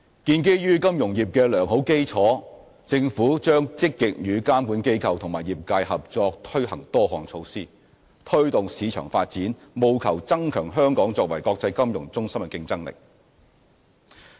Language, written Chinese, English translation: Cantonese, 建基於金融業的良好基礎，政府將積極與監管機構及業界合作推行多項措施，推動市場發展，務求增強香港作為國際金融中心的競爭力。, Given the sound basis of our financial industry the Government will cooperate with regulatory bodies and trade members to proactively implement a number of measures to promote market development with a view to enhancing Hong Kongs competitiveness as an international financial centre